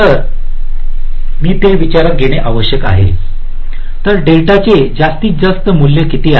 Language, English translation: Marathi, so what is the maximum value of delta